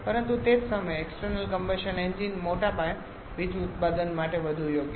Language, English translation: Gujarati, But at the same time external combustion engines are more suitable for large scale power generation